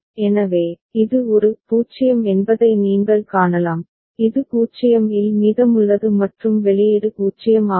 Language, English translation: Tamil, So, you can see that this is a 0 it is remaining at 0 and output is 0